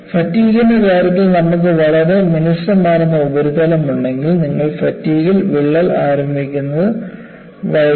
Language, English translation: Malayalam, See, in the case of fatigue, if we have a very smooth surface, you will delay crack initiation in fatigue